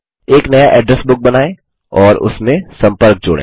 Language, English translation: Hindi, Create a new Address Book and add contacts to it